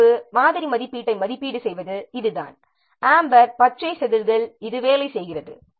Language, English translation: Tamil, This is how the sample light assessment based on the red, amber green scales this works